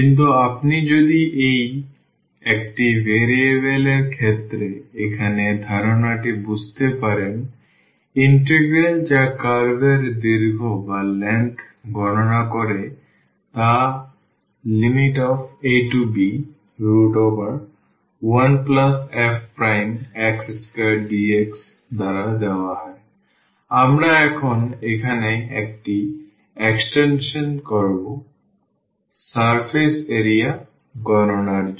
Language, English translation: Bengali, But, if you understood the concept here in case of this one variable the integral which computes the curve length is given by the square root 1 plus this f prime square dx, we will just make an extension here now, for the computation of the surface area